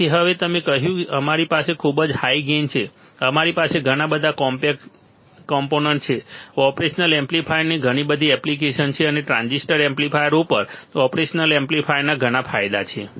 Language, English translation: Gujarati, So, now, you got it right said that we have very high gain, we have lot of components, there are a lot of application of operational amplifier, and there are several advantages of operational amplifier over transistor amplifiers, over transistor amplifier correct